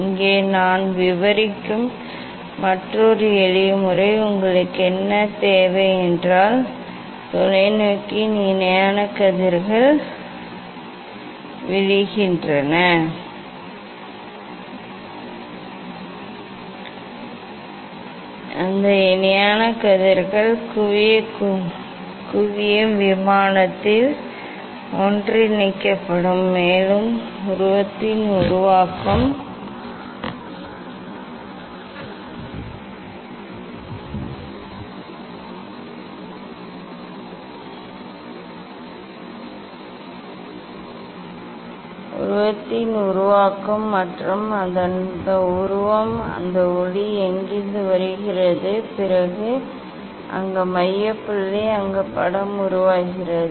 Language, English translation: Tamil, here another simple method I will describe that is; if you what I need, I need parallel rays are falling on the telescope and that parallel rays will be converged on the focal plane and there would be formation of image and that image of what, the from where that light is coming and then there at the focal point, where image is formed